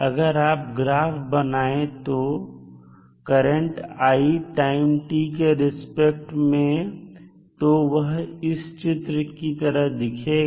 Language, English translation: Hindi, If you plot the variation of current I with respect to time t the response would be like shown in the figure